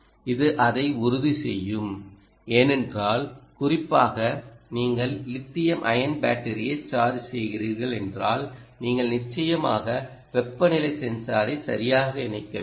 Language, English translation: Tamil, because particularly if you are, if you are charging a lithium ion battery, then you obviously we will have to connect ah a temperature sensor